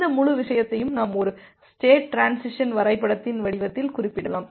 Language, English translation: Tamil, So, this entire thing we can represent in the form of a state transition diagram